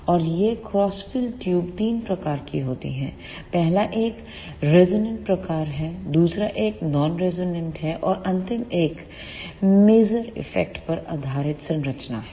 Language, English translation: Hindi, And these crossed field tubes are of three types; first one is resonant type, second one is non resonant and the last one is the structures based on maser effect